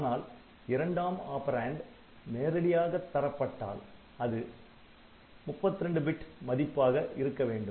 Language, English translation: Tamil, But if this second operand is an immediate operand then the immediate operand must be 32 bit value